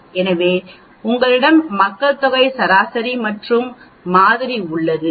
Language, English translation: Tamil, So you have the population mean and you have the sample